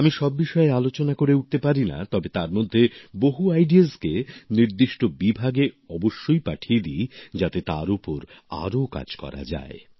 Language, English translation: Bengali, We are not able to discuss all of them, but I do send many of them to related departments so that further work can be done on them